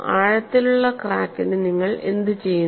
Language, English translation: Malayalam, And for a deep crack what you do